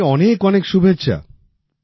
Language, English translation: Bengali, Many best wishes to you